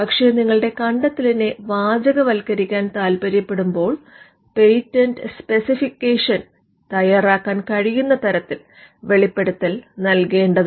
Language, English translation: Malayalam, But because you are looking to textualize the invention, you would want the disclosure to be given in a form in which you can prepare the patent specification